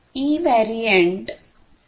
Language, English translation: Marathi, It is based on the 802